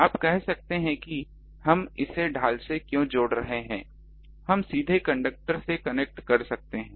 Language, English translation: Hindi, You can say that why we are connecting it to the shield we can directly connect to the conductor